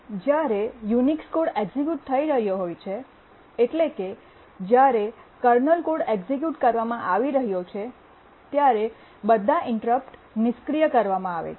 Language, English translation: Gujarati, When the Unix code is being executed, that is the kernel code is being executed, then all interrupts are disabled